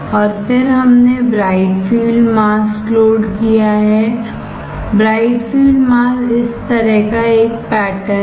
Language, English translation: Hindi, And then we have loaded the bright field mask; bright field mask is a pattern like this